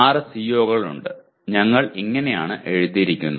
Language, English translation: Malayalam, And there are 6 COs and this is how we have written